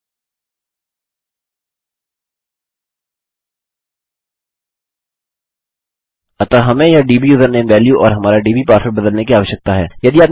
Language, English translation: Hindi, So we need to change this dbusername value and our dbpassword